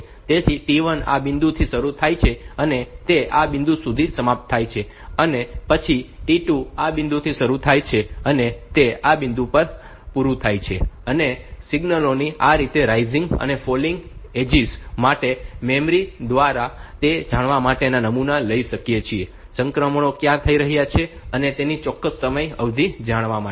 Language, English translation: Gujarati, So, T 1 T 2 T 3 and T 4 so, T 1 starts at this point it ends at this point then T 2 starts at this point it aims at this point and these rising and falling edges of the signals they can be sampled by the memory to know the exact timing duration where the transitions are occurring